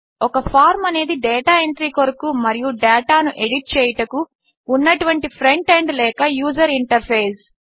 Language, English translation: Telugu, A form is a front end or user interface for data entry and editing data